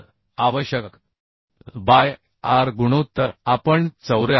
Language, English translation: Marathi, 36 So required L by r ratio we can find out as 74